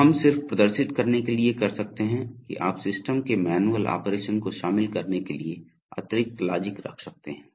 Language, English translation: Hindi, So we can this is just to demonstrate that you can put additional logic to include manual operation of the system